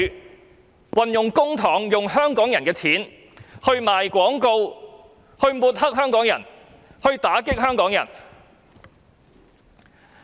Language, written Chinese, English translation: Cantonese, 政府運用公帑、運用香港人的錢製作宣傳短片抹黑香港人、打擊香港人。, The Government uses money of Hong Kong people to produce APIs to discredit and attack Hong Kong people